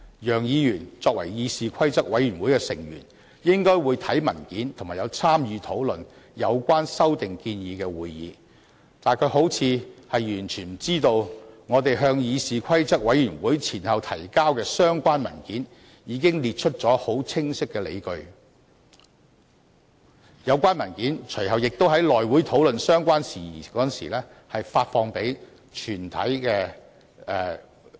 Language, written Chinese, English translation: Cantonese, 楊議員作為議事規則委員會的委員，應該會看文件及參與討論有關修訂建議的會議，但他好像完全不知道我們先後向議事規則委員會提交的相關文件中，已列出很清晰的理據，而有關文件隨後亦在內務委員會討論相關事宜時發送給全體議員。, As a member of CRoP Mr YEUNG presumably read the relevant documents and attended the meeting at which this proposed amendment was discussed but he seems to be totally ignorant of the fact that clear justifications for it are set out in the relevant documents successively submitted by us to CRoP and these documents were subsequently sent to all Members when the matter was discussed in the House Committee